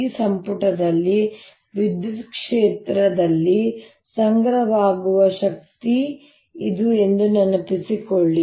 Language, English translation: Kannada, recall that this is the energy stored in the electric field in this volume